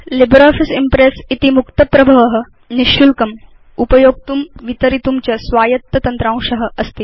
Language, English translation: Sanskrit, LibreOffice Impress is free, Open Source software, free of cost and free to use and distribute